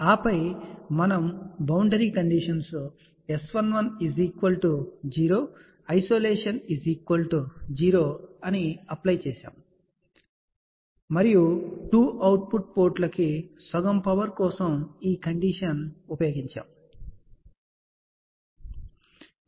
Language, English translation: Telugu, And then we had applied the boundary condition we require S 1 1 equal to 0 isolation to be equal to 0, and for half power to the 2 output ports this was the condition port